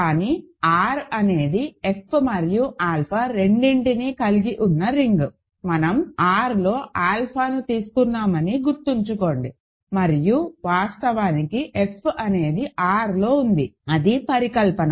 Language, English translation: Telugu, But, then R is a ring containing both F and alpha, remember we took alpha in R and of course, F is contained in R that is hypothesis